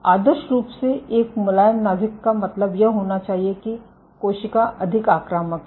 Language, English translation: Hindi, So, ideally a soft nucleus should mean that the cell is more invasive ok